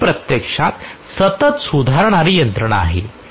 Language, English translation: Marathi, So it is actually a continuously self correcting mechanism